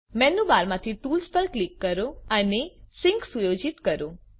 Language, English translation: Gujarati, From the menu bar click tools and set up sync